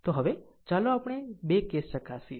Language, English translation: Gujarati, So now, let us examine the 2 cases